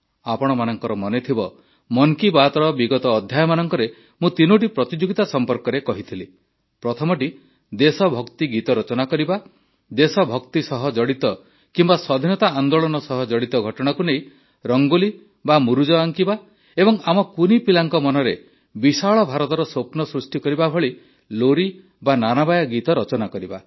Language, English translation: Odia, You might be aware…in the last episodes of Mann Ki Baat, I had referred to three competitions one was on writing patriotic songs; one on drawing Rangolis on events connected with patriotic fervor and the Freedom movement and one on scripting lullabies that nurture dreams of a grand India in the minds of our children